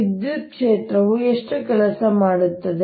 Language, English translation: Kannada, how much work does the electric field do